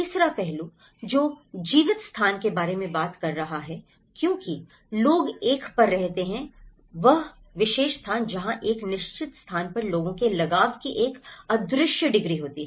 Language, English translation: Hindi, The third aspect, which is talking about the lived space as the people tend to live at a particular place that is where an invisible degree of people's attachment to a certain place